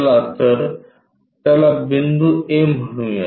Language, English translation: Marathi, So, let us call point A